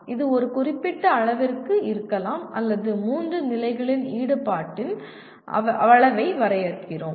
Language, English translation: Tamil, It may be to a certain degree or we define the level of involvement at three levels